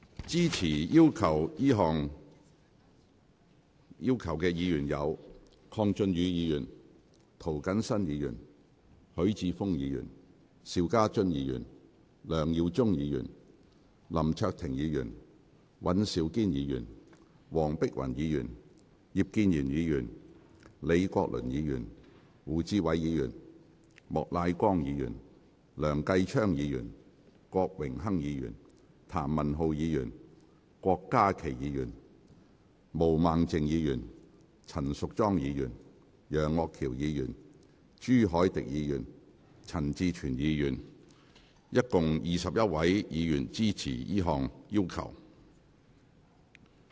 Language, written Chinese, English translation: Cantonese, 支持這項要求的議員有：鄺俊宇議員、涂謹申議員、許智峯議員、邵家臻議員、梁耀忠議員、林卓廷議員、尹兆堅議員、黃碧雲議員、葉建源議員、李國麟議員、胡志偉議員、莫乃光議員、梁繼昌議員、郭榮鏗議員、譚文豪議員、郭家麒議員、毛孟靜議員、陳淑莊議員、楊岳橋議員、朱凱廸議員及陳志全議員，即合共21位議員支持這項要求。, Members who support this request are Mr KWONG Chun - yu Mr James TO Mr HUI Chi - fung Mr SHIU Ka - chun Mr LEUNG Yiu - chung Mr LAM Cheuk - ting Mr Andrew WAN Dr Helena WONG Mr IP Kin - yuen Prof Joseph LEE Mr WU Chi - wai Mr Charles Peter MOK Mr Kenneth LEUNG Mr Dennis KWOK Mr Jeremy TAM Dr KWOK Ka - ki Ms Claudia MO Ms Tanya CHAN Mr Alvin YEUNG Mr CHU Hoi - dick and Mr CHAN Chi - chuen . A total of 21 Members support this request